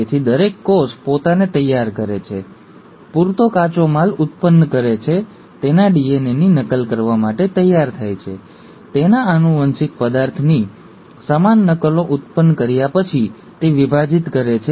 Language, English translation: Gujarati, So every cell prepares itself, generates enough raw material, gets ready to duplicate its DNA, having generated equal copies of its genetic material it then divides